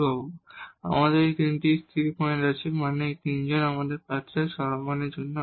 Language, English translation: Bengali, So, we have these 3 stationary points I mean these 3 candidates for extrema